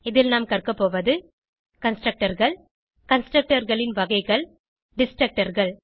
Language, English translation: Tamil, In this tutorial we will learn, Constructors Types of constructors Destructors